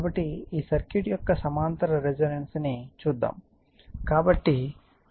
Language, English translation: Telugu, So, this is you have to see the parallel resonance of the circuit